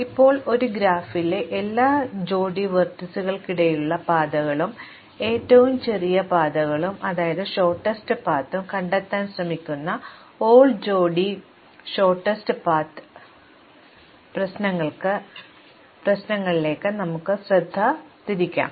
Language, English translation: Malayalam, Let us now turn our attention to the All pairs Shortest Paths problems, where we try to find the paths, shortest paths between every pair of vertices in a graph